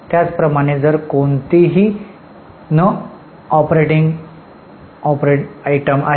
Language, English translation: Marathi, Similarly if there are any non operating items